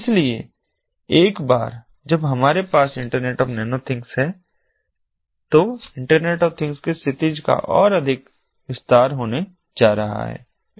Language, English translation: Hindi, so, ah, once we have this internet of nano things, that the the horizon of internet of things is going to be expanded much further